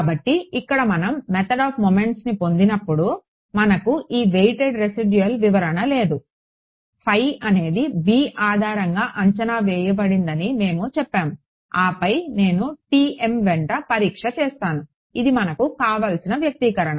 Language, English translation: Telugu, So, here when we have derived the method of moments equation over here, we did not have this weighted residual interpretation right, we just said phi is projected on basis b then I do testing along t m that was my interpretation we were happy with it